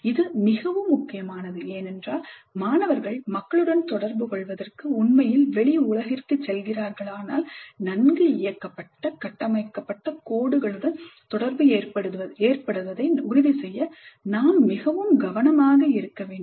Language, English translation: Tamil, That is particularly important because if the students are really going into the outside world to interact with people there we need to be very careful to ensure that the interaction occurs along well directed structured lines